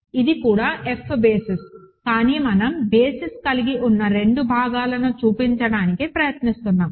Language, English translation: Telugu, It is also an F basis, but we are trying to show both the parts that constitute a basis